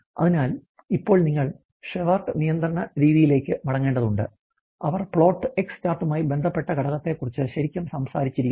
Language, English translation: Malayalam, So, having said that now you have to go back to the Shewhart control method way are they really talk about the factor which are a associated the plot the x chart